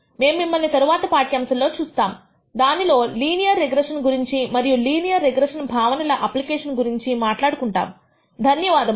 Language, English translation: Telugu, We will see you in the next lecture which we will talk about linear regression and the application of these concepts to linear regression